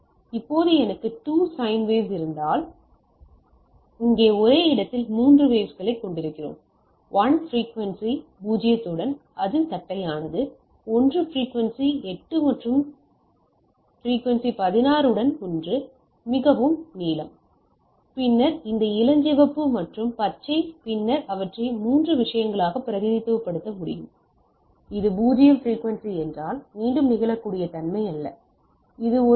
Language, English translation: Tamil, Now if I have 2 sine wave, one with a rather here we are having 3 waves, 1 with frequency 0; that is flat, one with frequency 8 and one with frequency 16, so blue, then this pink and green and then I can represent them into 3 things right like if it is a 0 frequency, there is no repeatability, so it is a dc thing, it is no not repeatable it is a constant thing and that is at 15